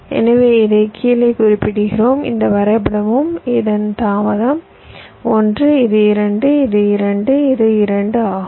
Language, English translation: Tamil, so let us note this down and this diagram also: the delay of this is one, this is two, this is two and this is two